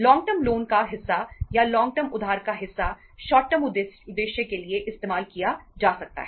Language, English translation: Hindi, Part of the long term loans or part of the long term borrowings can be used for the short term purposes